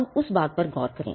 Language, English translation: Hindi, Now, now look at that